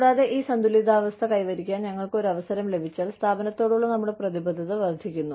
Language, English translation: Malayalam, And, if we are given an opportunity, to achieve this balance, our commitment to the organization, increases